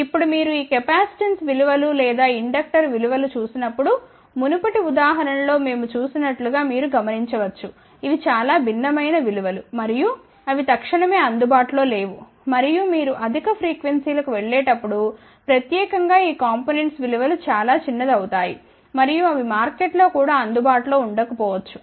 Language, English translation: Telugu, Now, when you look at these capacitance values or inductor values, you might have notice as we did it in the previous example these are very different values ok and they are not readily available and as you go to the higher frequencies specially these components values will become very small and they may not be readily available in the market also